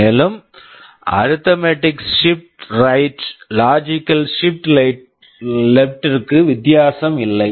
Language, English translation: Tamil, And arithmetic shift left is same as logical shift left, no difference